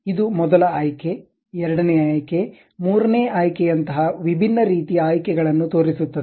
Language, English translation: Kannada, It shows different kind of options like first option, second option, third option